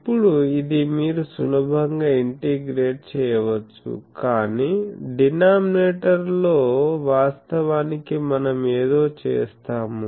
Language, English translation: Telugu, Now, this you can easily integrate but in the denominator actually we will do something